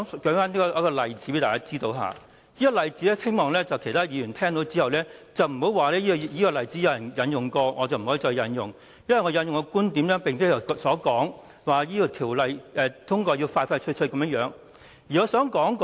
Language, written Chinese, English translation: Cantonese, 讓我舉一個例子，希望其他議員不要說這個例子已有人引用過，我不能再引用，因為我的觀點與其他議員不同，他們希望盡快通過《條例草案》。, Let me cite an example . I hope other Members will not say that since this example has already been cited I cannot cite it again . I say this because my viewpoint differs from that of other Members in the sense that they hope to see the expeditious passage of the Bill